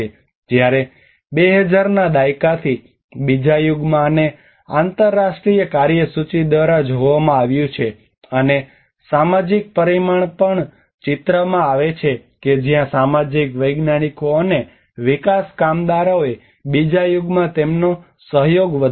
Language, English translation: Gujarati, Whereas in the second era from 2000s this has been seen by the International agenda, and also the social dimension come into the picture where the social scientists and the development workers have increased their cooperation in the second era